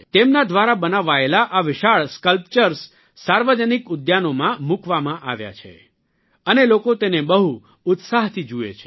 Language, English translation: Gujarati, These huge sculptures made by him have been installed in public parks and people watch these with great enthusiasm